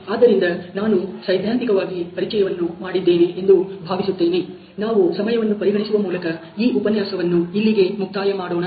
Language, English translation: Kannada, So, I think I have made in theoretical introduction, we will closed this module here in the interest of time